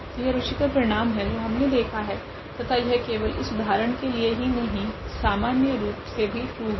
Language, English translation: Hindi, So, that is interesting result we have seen and that is true in general not for the example we have just shown